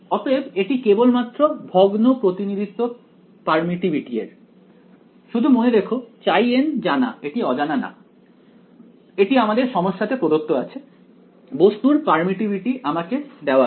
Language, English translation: Bengali, So, this is just a discrete representation of permittivity just remember that x n is known it is not unknown its given to me in the problem the permittivity of the object is given to me ok